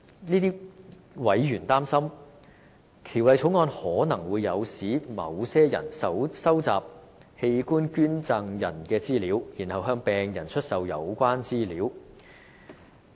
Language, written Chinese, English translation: Cantonese, 這些委員擔心，《條例草案》可能會誘使某些人收集器官捐贈人的資料，然後向病人出售有關資料。, These members worry that the Bill may induce some people to collect information about organ donors and sell such information to patients